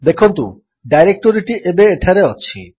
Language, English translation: Odia, See the directory is now present here